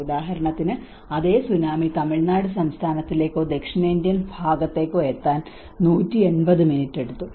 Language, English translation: Malayalam, For instance, the same tsunami it took 180 minutes to get into the Tamil Nadu state or in the southern Indian side